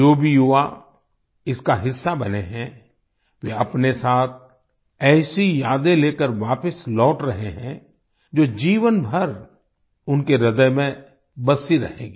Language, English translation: Hindi, All the youth who have been a part of it, are returning with such memories, which will remain etched in their hearts for the rest of their lives